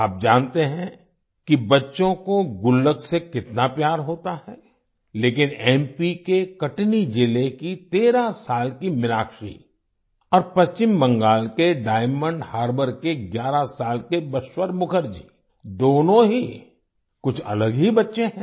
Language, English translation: Hindi, You know how much kids love piggy banks, but 13yearold Meenakshi from Katni district of MP and 11yearold Bashwar Mukherjee from Diamond Harbor in West Bengal are both different kids